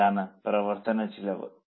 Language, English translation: Malayalam, Now the material cost